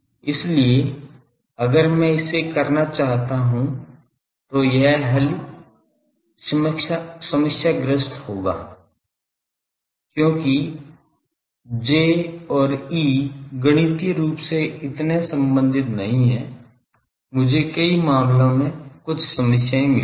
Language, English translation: Hindi, So, if I want to do it will be problematic because the J and E they are not so well related mathematically; I will find some problems in many of the cases